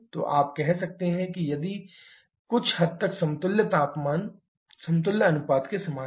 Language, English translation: Hindi, So, you can also say that this is somewhat similar to the equivalence ratio